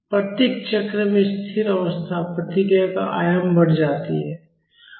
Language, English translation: Hindi, The amplitude of the steady state response increased in each cycle